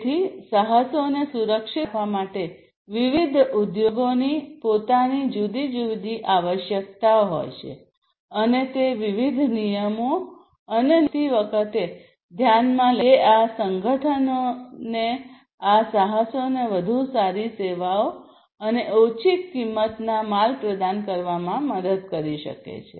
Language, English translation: Gujarati, So, for protecting the enterprises, different enterprises have their own different requirements, and those will have to be taken into consideration while arriving at different regulations and rules which can be, you know, which can help these organizations these enterprises to offer better services and low cost goods